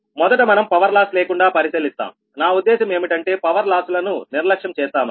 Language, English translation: Telugu, so first we will consider that, without power loss, without, i mean, neglecting power losses, right